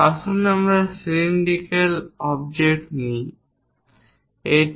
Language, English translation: Bengali, Let us take a cylindrical object, this one